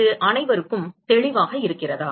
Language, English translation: Tamil, Is that clear to everyone